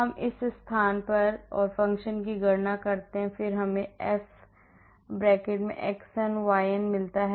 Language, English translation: Hindi, we calculate the function at this place, at this place and then we get the f (xn, yn)